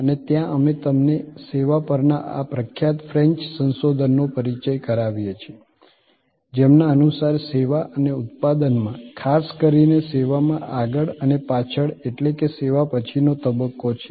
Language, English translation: Gujarati, And there we actually introduce you to this famous French research on servuction, which is means service and production and we said that, there is a front stage and there is a back stage in service